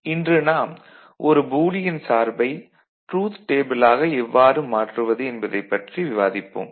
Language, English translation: Tamil, Today we shall discuss how to convert a Boolean function to corresponding truth table